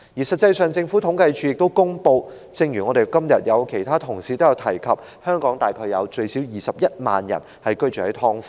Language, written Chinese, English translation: Cantonese, 實際上，政府統計處亦公布，正如其他同事今天也提及，香港大概有最少21萬人居於"劏房"。, In fact according to the information published by the Census and Statistics Department CSD and as other Honourable colleagues have also mentioned today there are at least about 210 000 people living in subdivided units in Hong Kong